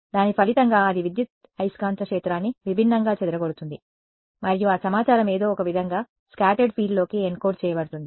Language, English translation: Telugu, As a result of which its scatters the electromagnetic field differently and that information somehow gets then encoded into the scattered field